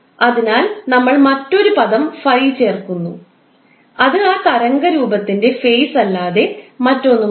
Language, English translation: Malayalam, So we add another term called phi which is nothing but the phase of that particular waveform